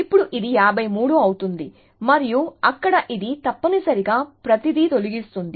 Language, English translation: Telugu, So, now this becomes 53 and there it deletes this essentially everything